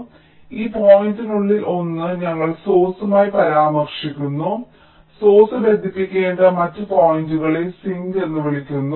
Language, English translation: Malayalam, so a one of these points we refer to as the source and the other points to which the source needs to be connected is called the sink